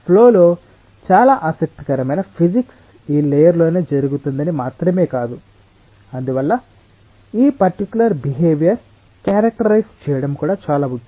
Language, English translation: Telugu, not only that, most of the interesting physics in the flow takes place within this layer and therefore it is very important to characterize this particular behavior